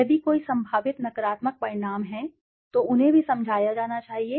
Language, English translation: Hindi, If there are any potentially negative consequences that should be also explained to them